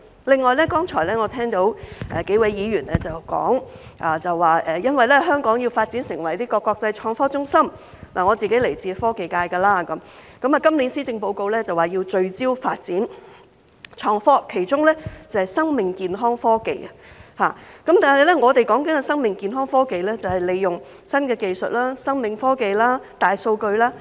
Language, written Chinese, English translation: Cantonese, 另外，我剛才聽到幾位議員表示，因為香港要發展成為國際創科中心——我是來自科技界的——今年施政報告說要聚焦發展創科，其中是生命健康科技，但我們所說的生命健康科技是利用新技術、生命科技、大數據。, Besides just now I have heard several Members say that because Hong Kong has to be developed into an international innovation and technology IT hub―I come from the technology sector―This years Policy Address has mentioned that we have to focus on the development of IT one of the aspects being life and health technology . Yet the life and health technology that we are talking about is the use of new technologies life technology and big data